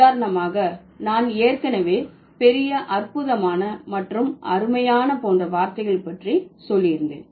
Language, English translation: Tamil, For example, I have already told, okay, the things like great, wonderful, fantastic and words like that, okay